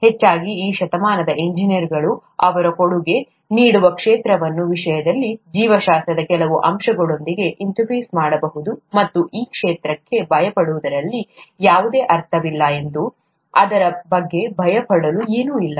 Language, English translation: Kannada, Most likely, engineers in this century may be interfacing with some aspect of biology in terms of the field that they’d be contributing to, and there’s no point in fearing that field and it's nothing to fear about